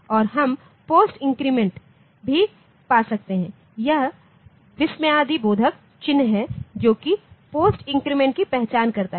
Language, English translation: Hindi, Then we can have post increments, so this exclamatory mark, this identifies it as it as post increment